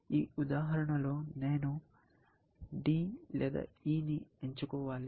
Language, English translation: Telugu, In this example, I have to pick either D or E